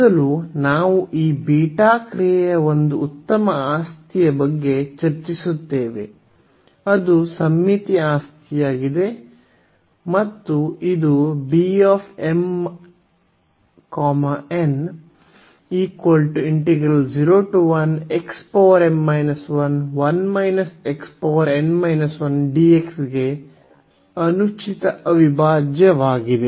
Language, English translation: Kannada, First we will discuss the property one nice property of this beta function which is the symmetry property and this is the improper integral for beta B m, n